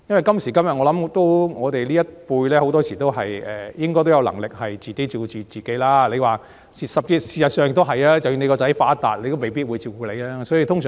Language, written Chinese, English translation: Cantonese, 今時今日，我們這一輩很多人應該都有能力自我照顧，而即使子女出人頭地，也未必會照顧父母。, In this day and age many among our generation should have the means to take care of ourselves and our children despite being successful may not take care of us